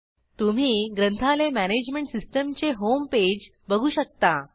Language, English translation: Marathi, We can see the Home Page of Library Management System